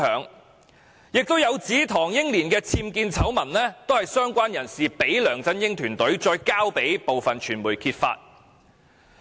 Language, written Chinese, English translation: Cantonese, 此外，更有指唐英年的僭建醜聞是由相關人士交給梁振英團隊，然後再轉交部分傳媒揭發的。, Moreover it was reported that information about Henry TANGs unauthorized building works scandal was given by a related person to LEUNG Chun - yings team which then passed it to certain media for publication